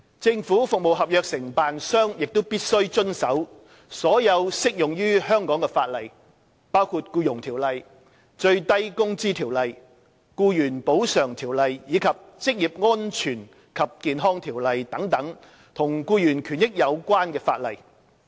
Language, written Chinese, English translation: Cantonese, 政府服務合約承辦商亦必須遵守所有適用於香港的法例，包括《僱傭條例》、《最低工資條例》、《僱員補償條例》，以及《職業安全及健康條例》等與僱員權益有關的法例。, Government service contractors must also abide by all legislation applicable in Hong Kong including legislation related to employees interests such as the Employment Ordinance the Minimum Wage Ordinance the Employees Compensation Ordinance the Occupational Safety and Health Ordinance and so on